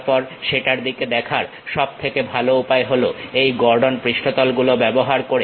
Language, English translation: Bengali, Then the best way of looking at that is using these Gordon surfaces